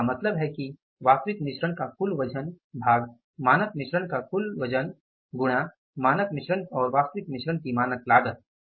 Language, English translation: Hindi, So it means total weight of actual mix divided by the total weight of standard mix into standard cost of standard mix and the standard cost of actual mix